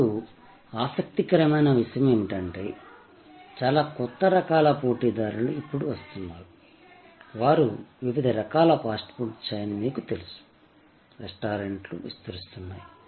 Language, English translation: Telugu, Now, the interesting thing is there are so many new types of competitors, which are now coming up, you know the fast food chain of different types, restaurants are proliferating